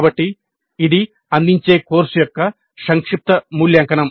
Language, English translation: Telugu, So this is the summative evaluation of the course offered